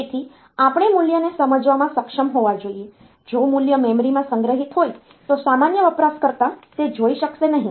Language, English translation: Gujarati, So, if the value is stored in the memory then a general user will not be able to see that